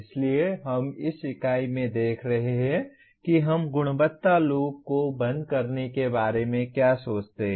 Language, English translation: Hindi, So we will be looking at in this unit how do we go around closing the quality loop